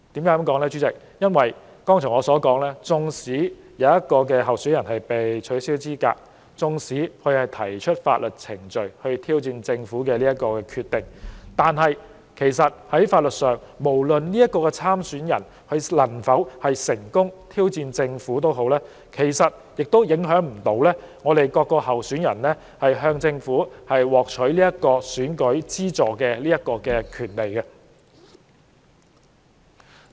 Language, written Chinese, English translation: Cantonese, 我剛才提到，儘管有候選人被取消資格、並就此透過法律程序挑戰政府的決定，但在法律上，不論這名候選人能否成功挑戰政府，其實也不影響其他候選人從政府獲取選舉資助的權利。, I mentioned just now that while a candidate was disqualified and is challenging such a decision of the Government through legal proceedings whether this candidate is successful in challenging the Government will not in the legal sense affect the eligibility of other candidates for receiving the financial assistance from the Government